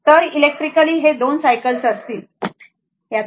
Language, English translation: Marathi, So, electrically, it will be 2 cycles right